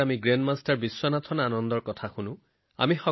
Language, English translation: Assamese, Come, listen to Grandmaster Vishwanathan Anand ji